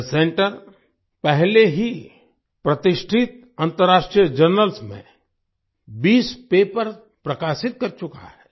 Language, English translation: Hindi, The center has already published 20 papers in reputed international journals